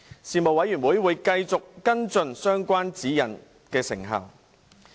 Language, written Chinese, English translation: Cantonese, 事務委員會會繼續跟進相關指引的成效。, The Panel would continue to follow up the effectiveness of the guidelines concerned